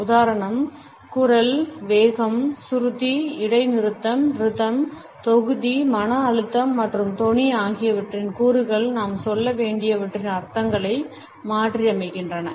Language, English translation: Tamil, It is elements for example voice, speed, pitch, pause, rhythm, volume, stress and tone modify the meanings of what we have to say and at the same time at nuances to the spoken word